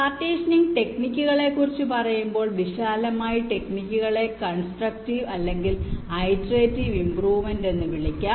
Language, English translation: Malayalam, so, talking about the partitioning techniques, broadly, the techniques can be classified as either constructive or something called iterative improvement